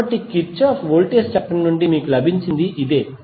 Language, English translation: Telugu, So, this is what you got from the Kirchhoff Voltage Law